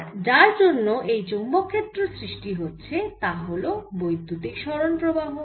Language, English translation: Bengali, responsible factor for the magnetic field is the displaced current